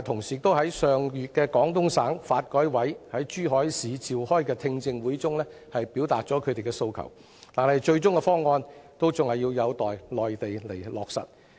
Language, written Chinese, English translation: Cantonese, 業界上月在廣東省發展和改革委員會於珠海市召開的聽證會中表達了訴求，但最終的方案還有待內地落實。, The transport trade expressed its views at the hearing hosted by the Guangdong Development and Reform Commission in Zhuhai last month but the final toll levels will be confirmed by the Mainland authorities